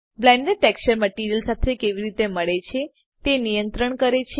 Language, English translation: Gujarati, Blend controls how the texture blends with the material